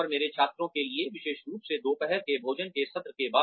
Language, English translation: Hindi, And, for my students, specially the post lunch sessions